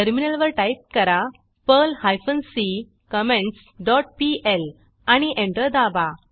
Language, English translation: Marathi, On the Terminal, type perl hyphen c comments dot pl and press Enter